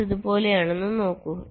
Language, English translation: Malayalam, see, it is something like this